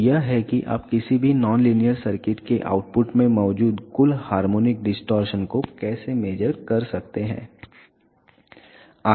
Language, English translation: Hindi, So, this is how you can measure the total harmonic distortion present at the output of any non linear circuit